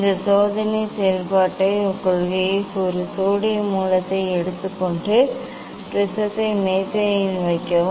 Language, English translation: Tamil, working principle for this experiment is take a sodium source and put the prism on the table